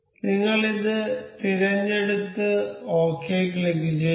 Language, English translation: Malayalam, So, we will select this and click ok